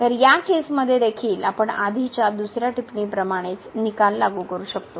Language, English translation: Marathi, So, in this case also we can apply the same result what we have established earlier another remark